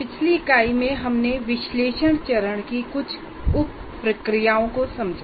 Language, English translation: Hindi, We were looking at, in the earlier unit 5, the various sub processes of analysis phase